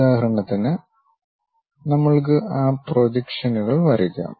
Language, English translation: Malayalam, For example, for us draw those projections